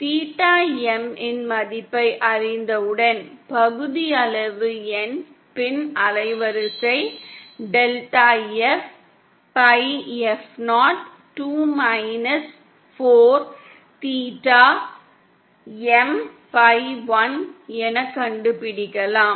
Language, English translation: Tamil, And then once we know the value of theta M, we can find out the fractional N, fractional band width, delta F upon F0 as 2 minus 4 theta M upon 1